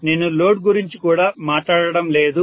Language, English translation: Telugu, So I am not even talking about load